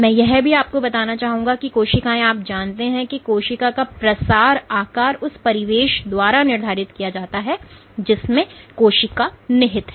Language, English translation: Hindi, So, I also like to emphasize that cells are you know the spread shape of a cell is actively determined by the surroundings in which the cell lies